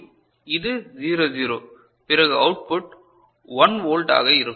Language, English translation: Tamil, And this is 0 0 the output will be 1 volt right